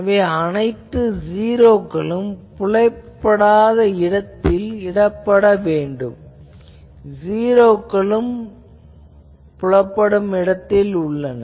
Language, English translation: Tamil, So, all the 0s need to be placed here in the nonvisible zone, no visible the 0s will be placed ok